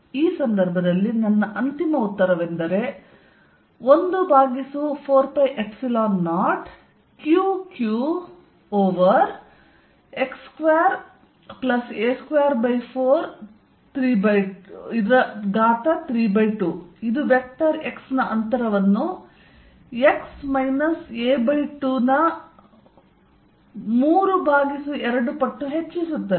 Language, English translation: Kannada, So, that my final answer in this case is, 1 over 4 pi epsilon 0 Q q over x square plus a square by 4, 3 by 2, which is nothing but the distance raise to three times a vector x x minus a by 2 y